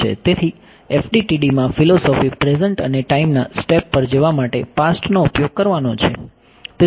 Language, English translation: Gujarati, So, the philosophy in FDTD has been use the past to get to the present and time step